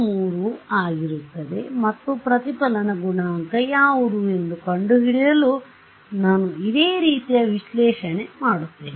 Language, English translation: Kannada, Will be equation 3 and I will do a similar analysis, to find out what is the reflection coefficient